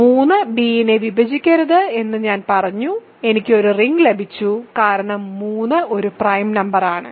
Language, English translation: Malayalam, So, R prime is not a ring say again because I said 3 does not divide b I got a ring where and because 3 is a prime